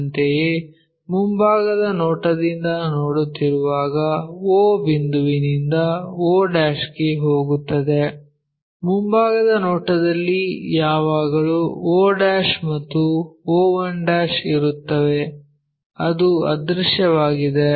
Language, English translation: Kannada, Similarly, when we are looking from front view o point goes to o' in the front view always be having's and o one' which is that one invisible